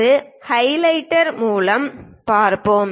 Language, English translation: Tamil, Let us look a through highlighter